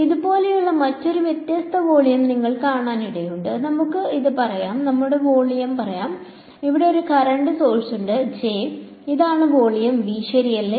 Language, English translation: Malayalam, You may come across another different kind of volume, which is like this; let us say this is let us say volume V naught and there is a current source over here J and this is volume V ok